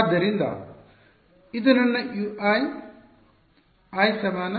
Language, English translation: Kannada, So, this is my U i; i is equal to